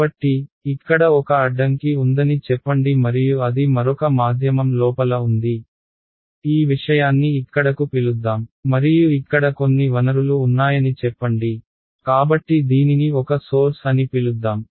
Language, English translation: Telugu, So, let us say that there is one obstacle over here and it is inside another medium let us call this thing over here and let us say that there are some sources over here ok, so let us call this is a source